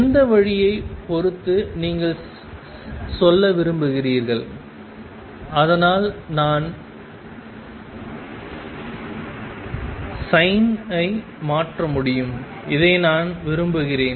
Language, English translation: Tamil, Depending on which way do you want to saying so I can just change the sin and I would like this